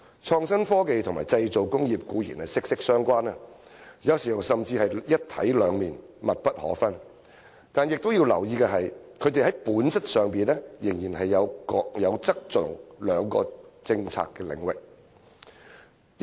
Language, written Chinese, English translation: Cantonese, 創新科技與製造工業固然息息相關，有時甚至是"一體兩面"、密不可分，但須留意的是，它們在本質上仍然是各有側重的兩個政策領域。, It is true that IT and the manufacturing industry are closely related and sometimes even inextricably linked like two halves of the same whole but then it must be noted that they are in essence still two policy areas with different emphases